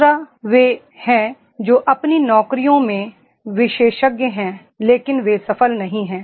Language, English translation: Hindi, Second, is those who are expert in their jobs but they are not successful